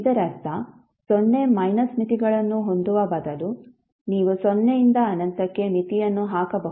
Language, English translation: Kannada, It means that instead of having limits 0 minus you can put limit from 0 to infinity